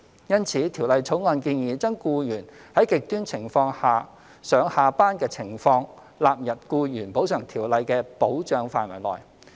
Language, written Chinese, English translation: Cantonese, 因此，《條例草案》建議將僱員在"極端情況"下上下班的情況納入《僱員補償條例》的保障範圍內。, Therefore the Bill proposes to extend the protection of ECO to employees travelling to or from their places of work under extreme conditions